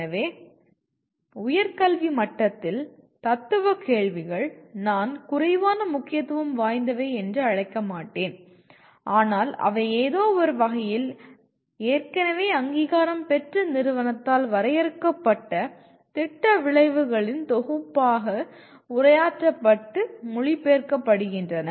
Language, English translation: Tamil, So, at higher education level, the philosophical questions are I would not call less important but they in some sense they are already addressed and get translated into a set of program outcomes defined by accrediting agency